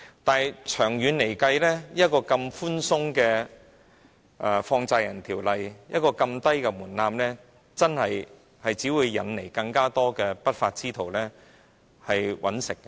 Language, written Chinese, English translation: Cantonese, 但是，長遠來說，這麼寬鬆的《放債人條例》，一個這麼低的門檻，只會引來更多不法之徒謀取利潤。, In the long term such a lenient Money Lenders Ordinance and such a low threshold will only attract unlawful elements to make profits